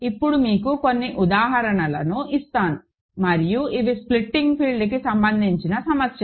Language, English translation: Telugu, So, now, just to give you a few examples and these are problems related to splitting fields ok